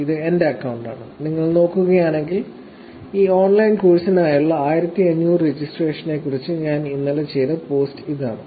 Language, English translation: Malayalam, This is my account and if you look at it, the post that I have done here sometime yesterday that I did this post which talks about 1500 registrations for the online course